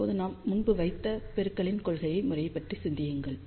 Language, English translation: Tamil, Now, think about the principle of pattern multiplication, which we discussed earlier